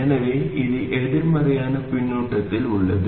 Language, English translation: Tamil, So it is in negative feedback